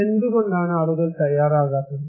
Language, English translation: Malayalam, Why; why people are not preparing